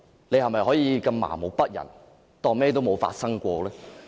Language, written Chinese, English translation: Cantonese, 你是否可以如此麻木不仁，當甚麼都沒有發生呢？, How can she be so unfeeling and pretend that nothing has happened?